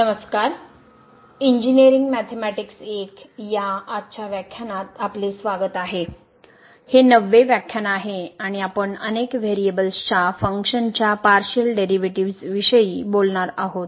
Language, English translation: Marathi, Hello, welcome to the lectures on Engineering Mathematics I and today’s, this is lecture number 9 and we will be talking about Partial Derivatives of Functions of Several variables